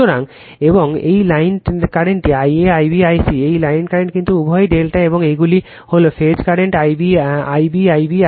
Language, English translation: Bengali, So, and this is the line current I a, I b, I c, this is the line current but both are delta and these are the phase current I b I b Ic